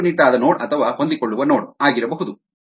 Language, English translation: Kannada, it could be rigid node or flexible node